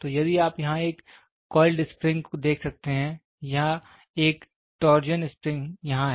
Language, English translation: Hindi, So, if here you can see a coiled spring or a torsion spring is there